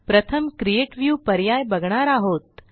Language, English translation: Marathi, We will go through the Create View option now